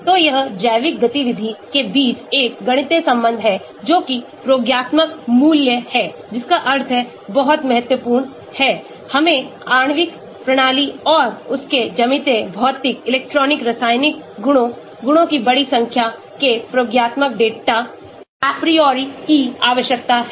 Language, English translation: Hindi, so it is a mathematical relation between the biological activity that is the experimental value that means that is very important, we need to have experimental data apriori of a molecular system and its geometric, physical, electronic chemical properties, large number of properties